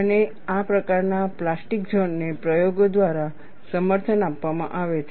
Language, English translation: Gujarati, And this type of plastic zone is corroborated by experiments